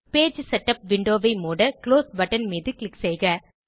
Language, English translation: Tamil, Lets click on Close button to close the Page Setup window